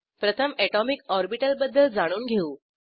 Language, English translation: Marathi, Let us first see what an atomic orbital is